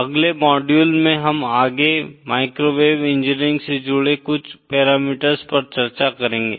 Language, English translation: Hindi, In the next module, we shall be further discussing something parameters associated with microwave engineering